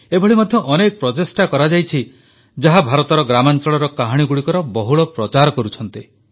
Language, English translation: Odia, There are many endeavours that are popularising stories from rural India